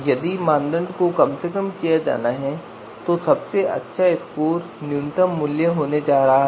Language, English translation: Hindi, If the criterion is to be minimized if the criterion you know is to be minimized, then the best score is going to be the minimum value